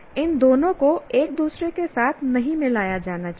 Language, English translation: Hindi, These two should not be what do you call mixed with each other